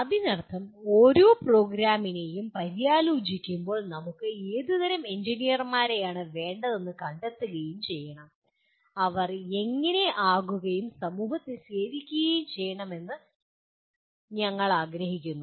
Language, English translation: Malayalam, That means each program will have to introspect and find out what kind of engineers we want to, we want them to be and go and serve the society